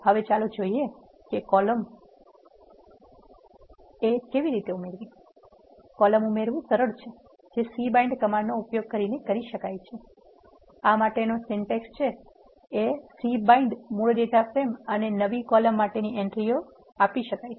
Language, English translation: Gujarati, Now, let us see how to add a column; adding a column is simple this can be done using a c bind command the syntax for that is c bind the original data frame and the entries for the new column